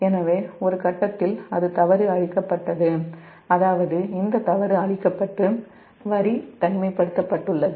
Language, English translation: Tamil, so at some point that fault is cleared, that means this fault is cleared and line is isolated